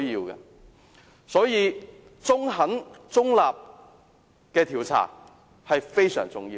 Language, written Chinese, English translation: Cantonese, 因此，中肯中立的調查非常重要。, Therefore it is vital to have a neutral and fair inquiry